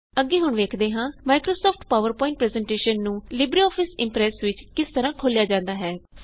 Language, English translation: Punjabi, Next, we will see how to open a Microsoft PowerPoint Presentation in LibreOffice Impress